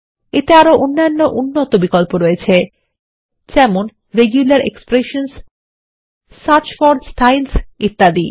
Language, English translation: Bengali, It has other advanced options like Regular expressions, Search for Styles and a few more